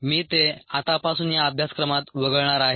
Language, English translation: Marathi, i am going to drop it from now onwards in this course